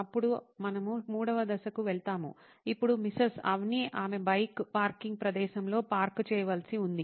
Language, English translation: Telugu, Then we go onto the third step which is now Mrs Avni looks like she has to park the bike in the parking spot